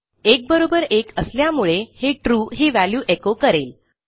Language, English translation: Marathi, 1 does equal to 1 so this will echo True